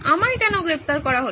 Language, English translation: Bengali, Why am I under arrest